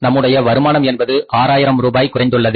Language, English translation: Tamil, That is why the total sales have been reduced by 6,000 rupees